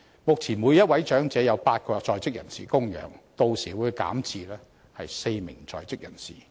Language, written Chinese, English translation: Cantonese, 目前，每1名長者由8個在職人士供養，屆時會減至只有4名在職人士供養。, At present one elderly person is supported by eight workers yet it will drop to four workers supporting one elderly person by then